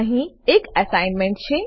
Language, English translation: Gujarati, Here is an assignment